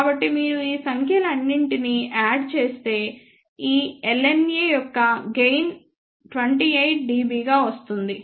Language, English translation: Telugu, So, you have to add all these numbers together so the gain of this LNA comes out to be 28 dB